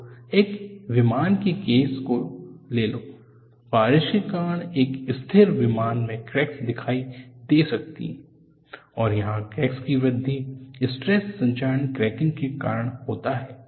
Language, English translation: Hindi, So, take the case of an aircraft; cracks may appear in a stationary aircraft due to rain, and here the crack grows, because of stress corrosion cracking